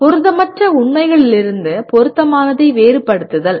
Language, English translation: Tamil, Distinguishing relevant from irrelevant facts